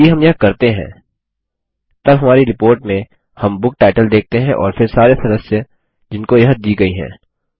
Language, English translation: Hindi, If we do that, then in the report we will see a book title and then all the members that it was issued to